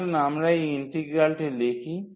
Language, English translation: Bengali, So, let us write down this integral